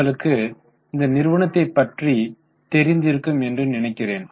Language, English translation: Tamil, I hope you know about this company